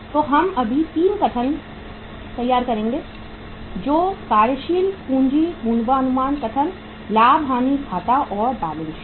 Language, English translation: Hindi, So we will be preparing all the 3 statement that is the working capital forecast statement, profit and loss account, and balance sheet